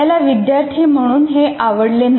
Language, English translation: Marathi, And so mostly we did not like it as students